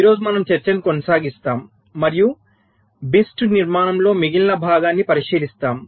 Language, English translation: Telugu, ok, so today we continue our discussion and look at the remaining part of the bist architecture